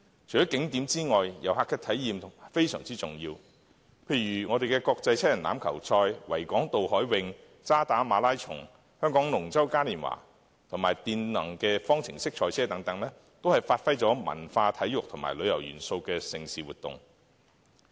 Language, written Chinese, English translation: Cantonese, 除了景點外，遊客的體驗非常重要，例如國際七人欖球賽、維港渡海泳、渣打馬拉松、香港龍舟嘉年華及電動方程式賽車，都是發揮了文化、體育和旅遊元素的盛事活動。, Other than tourist attractions it is also very important to offer tourists unique experiences for instance special events such as the Hong Kong Sevens Harbour Race Standard Chartered Hong Kong Marathon Hong Kong Dragon Boat Carnival and FIA Formula E Hong Kong ePrix are all mega events that feature cultural sports and tourism elements of Hong Kong